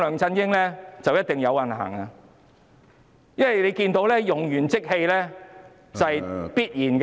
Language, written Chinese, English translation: Cantonese, 因為大家都看到，用完即棄是必然的。, We all see that they are doomed to be disposed of